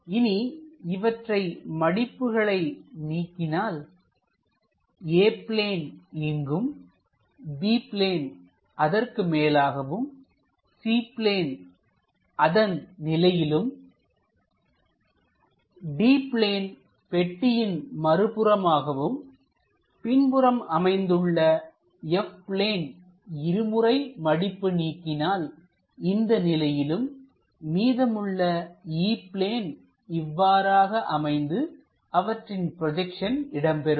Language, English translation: Tamil, Now, when we are unfolding it; the A plane will be there, the B plane comes on top, the C plane comes at this level, the D plane opens like a box in that one, F plane on the back side, twice we are going to unfold it so that it comes in this direction F and the left over E plane comes at that level